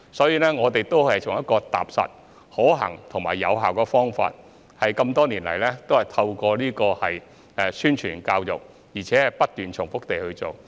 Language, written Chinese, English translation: Cantonese, 因此，我們都是採取踏實、可行及有效的方法，多年以來透過宣傳和教育，而且不斷重複地去做。, Therefore we have adopted a down - to - earth practicable and effective approach making ongoing efforts to carry out publicity and education over the years . In the past three years ie